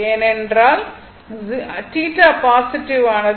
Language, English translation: Tamil, So, theta will be negative right